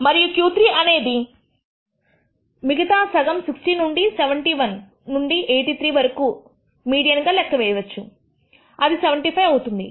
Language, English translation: Telugu, And the Q 3 can be computed as the median of the other half from 60 from 71 to 83 and that turns out to be around 75